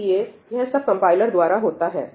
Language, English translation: Hindi, So, this is all being done by the compiler